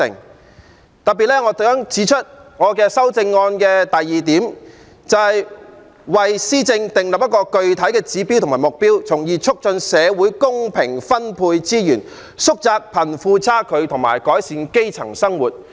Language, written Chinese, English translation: Cantonese, 我特別想指出我修正案的第二點，"為施政訂立具體指標和目標，從而促進社會公平分配資源、縮窄貧富差距和改善基層生活"。, I wish to make particular reference to point 2 in my amendment which reads setting specific indicators and targets on governance thereby promoting equitable allocation of resources in the community narrowing the disparity between the rich and the poor and improving the livelihood of the grass roots